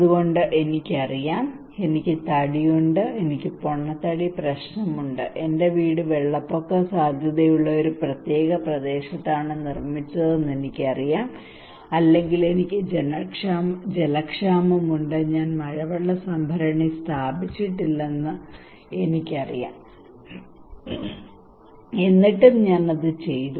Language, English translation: Malayalam, So I know I am fat, I have obesity problem, I know my house is built in a particular area that is flood prone or I know that I did not install the rainwater harvesting tank because I have water scarcity problem, but still I did not do it